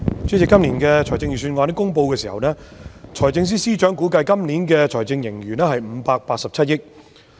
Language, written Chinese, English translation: Cantonese, 主席，今年公布財政預算案的時候，財政司司長估計本年度有587億元財政盈餘。, President when the Financial Secretary announced the Budget this year he estimated that there would be a fiscal surplus of 58.7 billion